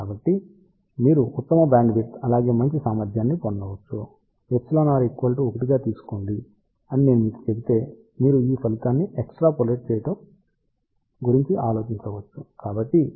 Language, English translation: Telugu, So, that you can get better bandwidth as well as better efficiency, I just want to also mention if you take epsilon r equal to 1, you can just think about extrapolating this result